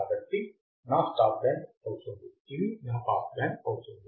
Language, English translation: Telugu, So, this will be my stop band this will be my pass band